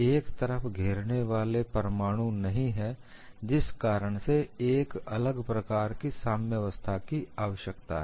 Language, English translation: Hindi, There are no surrounding atoms on one side, thus requires a different kind of equilibrium